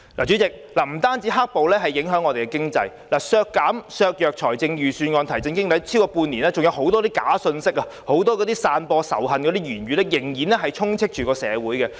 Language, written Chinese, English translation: Cantonese, 主席，"黑暴"不單影響經濟、削弱預算案提振經濟的效力，過去半年多，很多假信息、散播仇恨的言論仍然充斥着社會。, Chairman black violence does not only affect the economy and undermine the effectiveness of the Budget in reviving the economy . During the past half year or so there have been a lot of fake news and hate speeches circulated in society